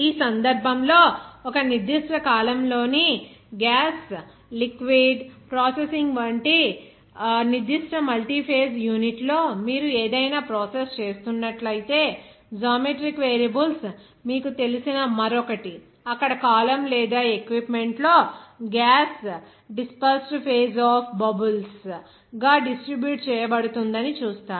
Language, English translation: Telugu, In this case, one other you know geometric variables like if you are doing any process in a particular multiphase unit like in gas liquid processing in a particular column, there you will see that gas will be distributed in the column or equipment as a dispersed phase of bubbles